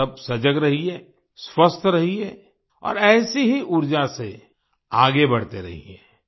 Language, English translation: Hindi, All of you stay alert, stay healthy and keep moving forward with similar positive energy